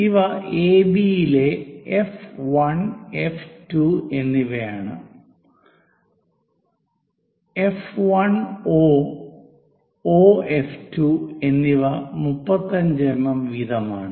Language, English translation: Malayalam, Those are F 1 and F 2 on AB such that F 1 O and O F 2 are 35 mm each